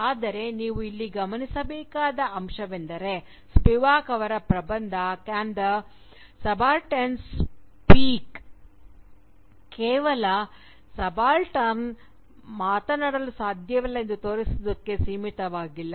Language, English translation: Kannada, But what I would like you to note here is that, Spivak’s essay, "Can the Subaltern Speak," is not merely limited to showing that the subaltern cannot speak